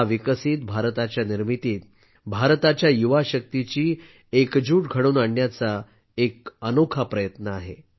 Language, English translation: Marathi, This is a unique effort of integrating the youth power of India in building a developed India